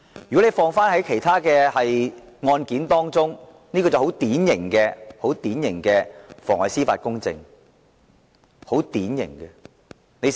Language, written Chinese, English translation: Cantonese, 如果放諸於其他案件，這是很典型的妨礙司法公正的情況。, If this happened in other circumstances this would be a very typical case of perverting the course of justice